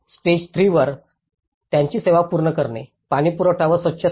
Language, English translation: Marathi, On the stage 3, the service completion of it, the water supply and sanitation